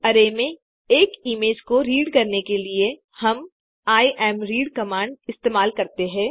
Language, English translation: Hindi, To read an image into an array, we use the imread command